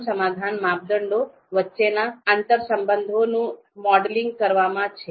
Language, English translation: Gujarati, Solution is now modeling the interrelations between criteria